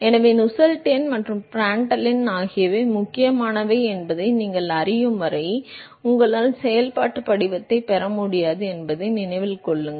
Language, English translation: Tamil, So, do remember you will not be able to get the functional form until you know that Nusselt number and Prandtl number are important right